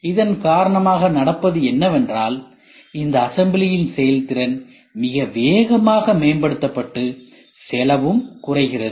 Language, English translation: Tamil, So, because of this what is happening the performance of this assembly gets enhanced very fast and the cost also slash down